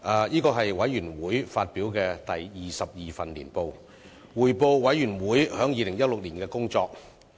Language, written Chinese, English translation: Cantonese, 這是委員會發表的第二十二份年報，匯報委員會在2016年的工作。, This is the 22 annual report of the Committee which provides an account of our work for the year 2016